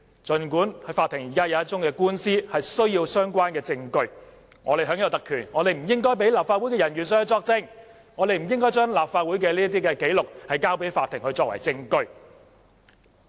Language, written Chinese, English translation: Cantonese, 儘管法庭現時有一宗官司需要相關證據，但我們享有特權，所以我們不應該讓立法會人員作證，不應該將立法會紀錄交給法庭作為證據。, Despite the need to produce relevant evidence in a court case because of all these privileges we enjoy we should not grant leave for officers of the Council to give evidence nor should we produce records of Legislative Council proceedings in evidence